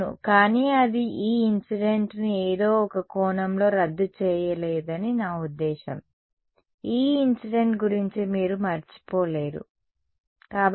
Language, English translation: Telugu, Yeah, but that it does not cancel of the E incident in some sense I mean you cannot forget about the E incident ok